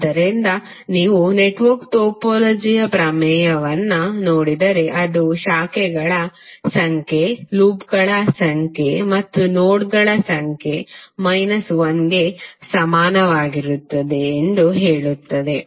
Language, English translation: Kannada, So if you see the theorem of network topology it says that the number of branches are equal to number of loops plus number of nodes minus 1